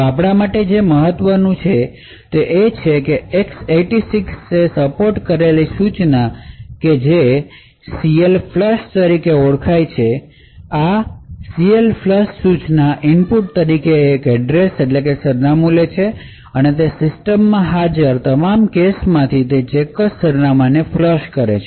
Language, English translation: Gujarati, So what is important for us is this X 86 supported instruction known as CLFLUSH, so this CLFLUSH instruction takes an address as input and flushes that particular address from all the caches present in that system